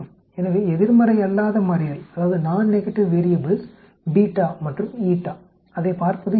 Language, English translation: Tamil, So non negative variables beta and eta, it is easy look at